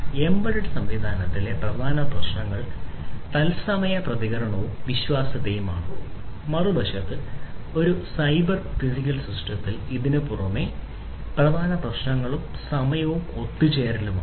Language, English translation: Malayalam, In an embedded system, the main issues are real time response and reliability, on the other hand in a cyber physical system in an addition to these the main issues are timing and concurrency